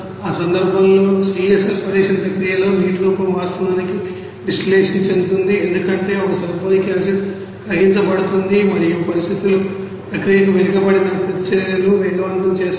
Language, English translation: Telugu, In that case the water form during the self sulphonation process is actually distilled out because a sulphonic acid gets diluted and conditions accelerate you know backward reactions to the process